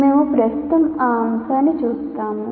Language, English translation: Telugu, We will presently see that aspect